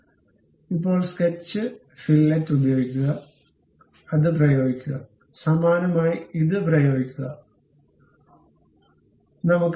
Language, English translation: Malayalam, So, now use sketch fillet, apply this, apply that; similarly apply that, apply this one, this one